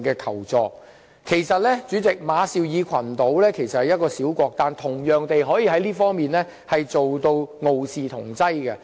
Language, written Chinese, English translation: Cantonese, 主席，其實馬紹爾群島只是一個小國，但在這方面同樣能傲視同儕。, President Marshall Islands is only a small country but it still managed to rise to the top in this domain